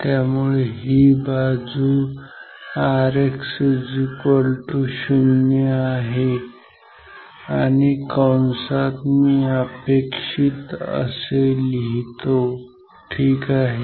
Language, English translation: Marathi, So, this side should be R X equal to 0 in bracket I write desirable ok